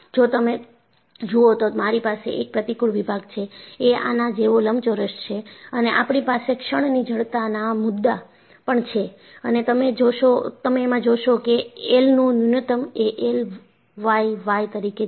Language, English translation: Gujarati, If you look at, I have a cross section, which is rectangular like this and we also have the concept of moment of inertia and you find that, I minimum is I y y